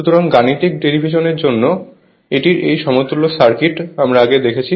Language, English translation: Bengali, So, this equivalent circuit of this one for mathematical derivations, we have seen earlier